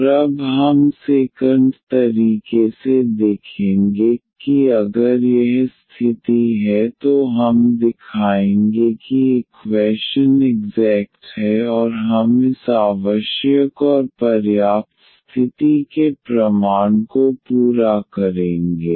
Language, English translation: Hindi, And now we will look the other way around, that if this condition holds then we will show that the equation is exact and that we will complete the proof of this necessary and sufficient condition